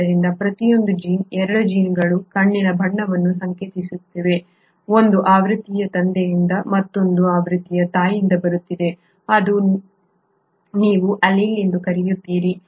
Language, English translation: Kannada, So each gene, though both of the genes are coding for the eye colour; one version is coming from the father and the other version is coming from the mother which is what you call as an allele